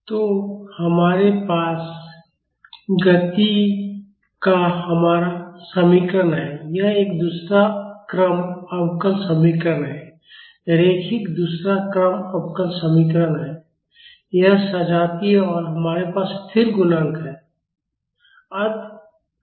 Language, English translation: Hindi, So, we have our equation of motion, this is a second order differential equation linear second order differential equation, this homogeneous and the we have constant coefficients